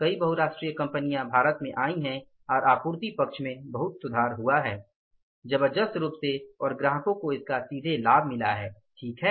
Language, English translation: Hindi, Many multinational companies have come to India and supply side has improved a lot tremendously and the benefit of that has directly gone to the customers